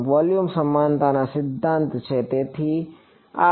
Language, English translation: Gujarati, Volume equivalence principle; so, this is